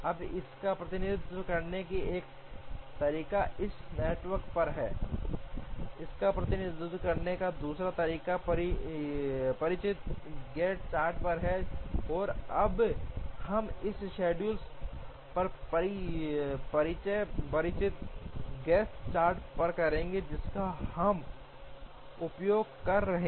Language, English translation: Hindi, Now, one way of representing it is on this network, the other way of representing it is on the familiar Gantt chart, and now we will represent this schedule on the familiar Gantt chart, which we are used to